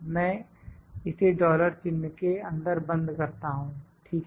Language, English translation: Hindi, I lock it, this in dollar sign and dollar sign, ok